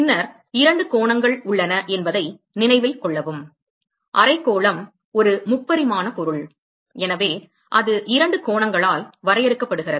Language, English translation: Tamil, And then note that there are two angles, hemisphere is a 3 dimensional object so it is defined by two angles